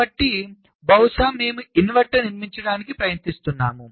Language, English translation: Telugu, so maybe we are trying to built an inverter